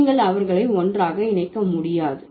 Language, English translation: Tamil, You cannot club them together